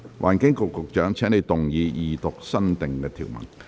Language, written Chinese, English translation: Cantonese, 環境局局長，請動議二讀新訂條文。, Secretary for the Environment you may move the Second Reading of the new clause